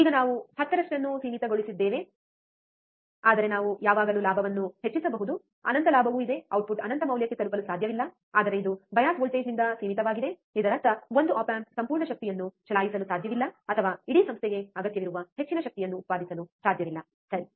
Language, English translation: Kannada, Now we had a gain which is limited about 10, but we can always increase the gain, even there is infinite gain, the output cannot reach to infinite value, but it is limited by the bias voltage; that means, that one op amp cannot run the whole power or cannot generate much power that whole institute requires, right